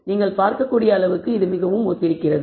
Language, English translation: Tamil, So, it is very similar to that you can see